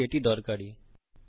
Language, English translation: Bengali, Hope this was useful